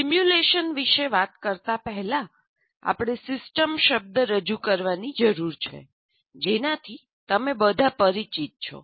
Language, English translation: Gujarati, Before we go talk about simulation, we have to introduce the word system with which all of you are familiar